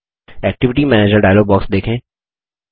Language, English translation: Hindi, View the Activity Manager dialog box